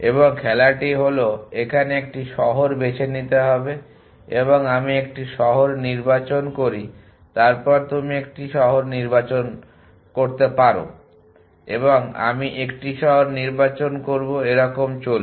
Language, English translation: Bengali, And the game is the following they give choose a city and I choose city then you choose a city and I choose a city and so on